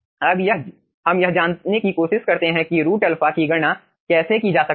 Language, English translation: Hindi, now let us try to find out how root alpha can be calculated